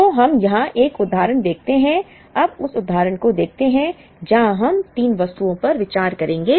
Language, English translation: Hindi, So, let us look at an example here, now let us look at this example where we consider three items